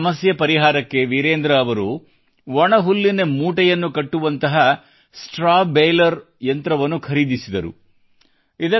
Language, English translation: Kannada, To find a solution to stubble, Virendra ji bought a Straw Baler machine to make bundles of straw